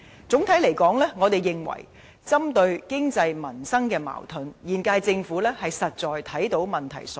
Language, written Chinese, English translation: Cantonese, 整體來說，我們認為針對經濟、民生的矛盾，現屆政府是看到問題所在。, Generally speaking we believe the incumbent Government has identified the problems concerning the contradictions between the economy and the peoples livelihood